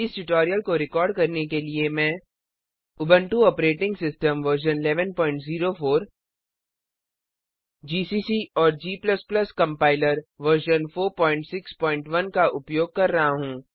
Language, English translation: Hindi, To record this tutorial, I am using, Ubuntu Operating System version 11.04 gcc and g++ Compiler version 4.6.1